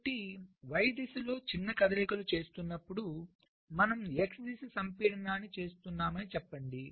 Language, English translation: Telugu, so let say we are performing x direction compaction while making small moves in the y direction